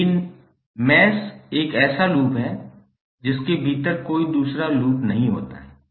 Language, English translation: Hindi, But mesh is a loop that does not contain any other loop within it